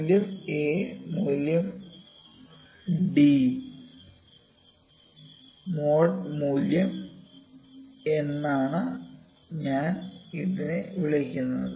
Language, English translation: Malayalam, I call it is value a, value d and a mode value c